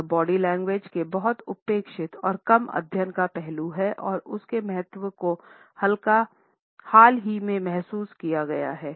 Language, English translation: Hindi, It is a much neglected and less studied aspect of body language and its significance is being felt only recently